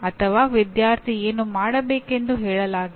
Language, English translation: Kannada, Or it is not stated as what the student is supposed to do